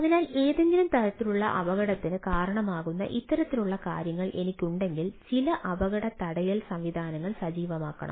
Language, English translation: Malayalam, so if i have this sort of things which has a some sort of accident, some accident prevention mechanisms can into ah should be activated